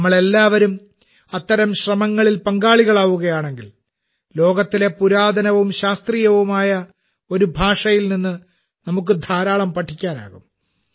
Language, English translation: Malayalam, If we all join such efforts, we will get to learn a lot from such an ancient and scientific language of the world